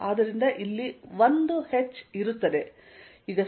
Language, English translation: Kannada, So, there is going to be 1 h out here